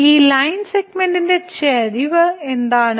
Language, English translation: Malayalam, So, what is the slope of this line segment